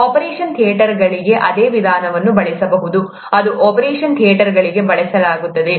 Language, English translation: Kannada, A similar procedure can be used for operation theatres, it has been used for operation theatres